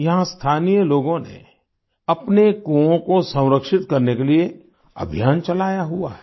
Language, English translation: Hindi, Here, local people have been running a campaign for the conservation of their wells